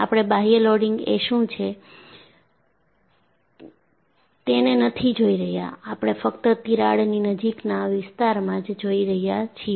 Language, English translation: Gujarati, We are not looking at what is the external loading; we look at only in the near vicinity of the crack